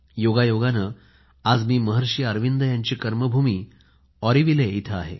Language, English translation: Marathi, Coincidentally, I am fortunate today to be in Auroville, the land, the karmabhoomi of Maharshi Arvind